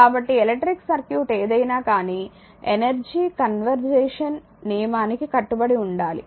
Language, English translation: Telugu, So, now for any electric circuit law of conservation of energy must be obeyed right